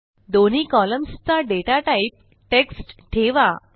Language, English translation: Marathi, Let both columns be of data type TEXT